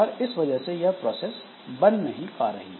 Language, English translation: Hindi, So, this process is created